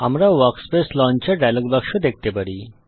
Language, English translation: Bengali, We have the Workspace Launcher dialog box